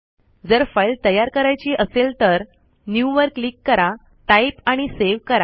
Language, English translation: Marathi, If you want to create a file, click new, type and save